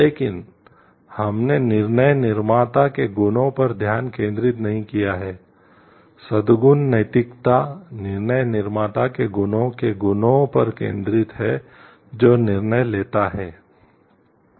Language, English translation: Hindi, But we have not focused on the qualities of the decision maker, virtue ethics focuses on the qualities of the traits of the decision maker who makes the decision